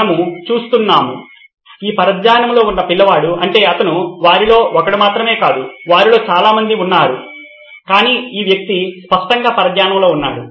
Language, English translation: Telugu, We are looking at, is this distracted child I mean he is not just one of them, there are probably many of them but this guy clearly is distracted